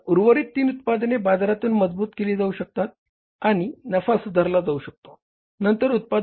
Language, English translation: Marathi, So, that remaining three products can be strengthened in the market and the profit can be improved